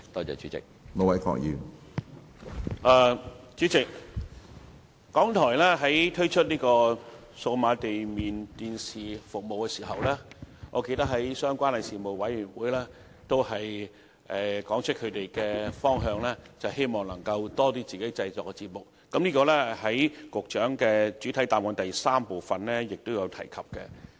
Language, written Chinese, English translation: Cantonese, 主席，我記得當港台在推出數碼地面電視廣播服務時，他們曾在相關的事務委員會上指出，希望能播放多些自己製作的節目，這在局長主體答覆的第三部分均已提及。, President I can remember that at the time of launching its digital terrestrial television service RTHK told the relevant Panel that it hoped to produce more programmes for broadcasting and this point is mentioned in part 3 of the Secretarys main reply